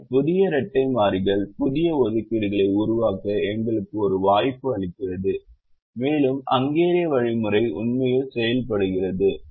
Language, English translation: Tamil, but the new set of dual variables gives us an opportunity to create new assignments and that is how the hungarian algorithm actually works